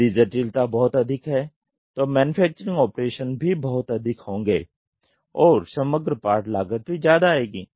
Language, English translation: Hindi, If the complexity is very high then manufacturing operations also will be very high